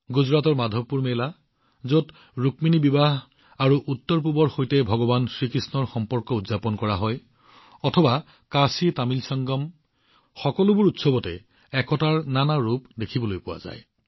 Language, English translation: Assamese, Be it the Madhavpur Mela in Gujarat, where Rukmini's marriage, and Lord Krishna's relationship with the Northeast is celebrated, or the KashiTamil Sangamam, many colors of unity were visible in these festivals